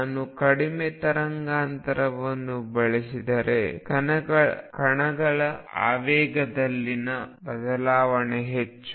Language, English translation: Kannada, If I use shorter and shorter wavelength the change in the momentum of the particle is more